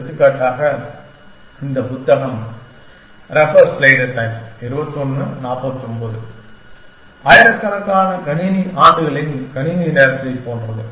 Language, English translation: Tamil, Something, like thousands of computing years of computing time